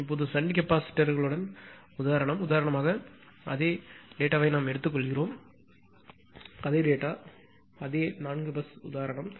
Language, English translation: Tamil, Now, example with shunt capacitors right; for example, suppose we take the same data we take the same data same 4 bus example